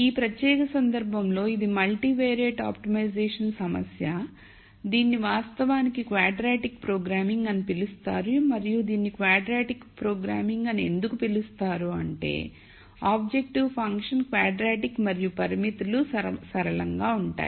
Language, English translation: Telugu, In this particular case it is a multivariate optimization problem which is actually called quadratic programming and this is called quadratic programming because the objective function is quadratic and the constraints are linear